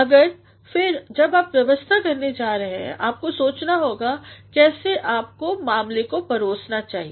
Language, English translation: Hindi, But then, when you are going to arrange you have to think about how you should serve the matter